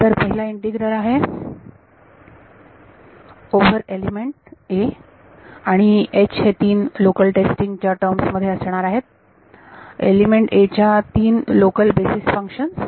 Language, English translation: Marathi, So, the first integral is over element a and H is going to be in terms of the three local testing; three local basis function of element a